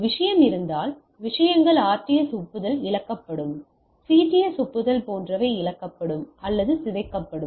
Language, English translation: Tamil, If there is a things either the things will be lost RTS acknowledgement, CTS acknowledgement etcetera will be lost or corrupted